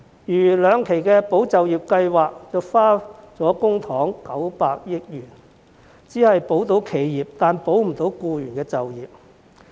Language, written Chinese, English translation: Cantonese, 如兩期的"保就業"計劃共耗用公帑900億元，卻只保了企業而保不了僱員就業。, For example the two tranches of the Employment Support Scheme have expended 90 billion in public funds but only to save enterprises but not jobs of employees